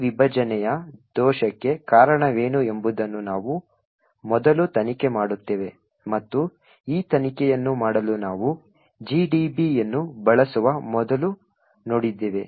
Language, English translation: Kannada, We will first investigate what causes this segmentation fault and as we have seen before we would use GDB to make this investigation